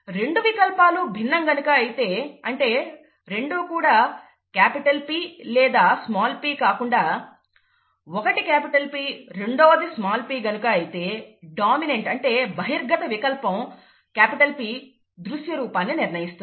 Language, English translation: Telugu, If the two alleles differ, you know, capital P small p, instead of both being capital P or both being small p, the dominant allele P determines the phenotype, okay